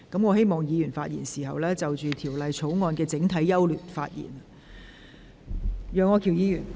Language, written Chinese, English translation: Cantonese, 我請議員針對《條例草案》的整體優劣發言。, I urge Members to speak on the general merits of the Bill